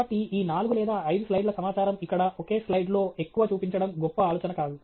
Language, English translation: Telugu, So, these four or five slides of information here; it’s not a great idea to show so much in a single slide